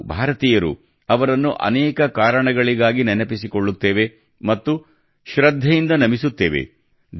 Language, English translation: Kannada, We Indians remember him, for many reasons and pay our respects